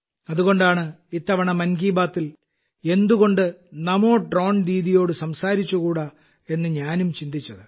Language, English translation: Malayalam, A big curiosity has arisen and that is why, I also thought that this time in 'Mann Ki Baat', why not talk to a NaMo Drone Didi